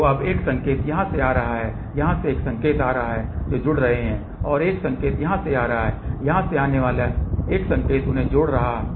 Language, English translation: Hindi, So, now, one signal is coming from here one signal is coming from here which are getting added up and one signal coming from here one signal coming from here they are getting added up